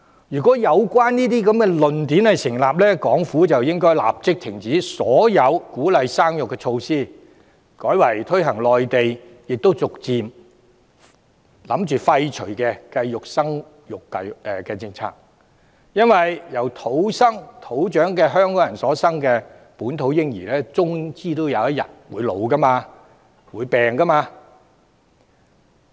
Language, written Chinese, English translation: Cantonese, 如果有關言論成立，港府便應立即停止所有鼓勵生育的措施，改為推行內地亦已逐漸打算廢除的計劃生育政策，因為由土生土長香港人所生育的本土嬰兒終有一天也會年老和生病。, If such a comment is valid the Government should stop all measures that promote childbearing and adopt instead family planning policies which the Mainland is about to abandon . At the end of the day however local babies born to indigenous Hongkongers will eventually grow old and fall ill